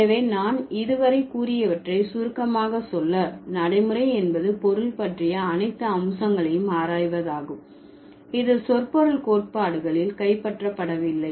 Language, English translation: Tamil, So, put it together or to summarize what I have said so far, pragmatics is the study of all those aspects of meaning which is not captured by or not captured in a semantic theory